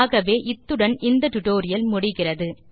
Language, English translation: Tamil, So, this brings us to the end of the tutorial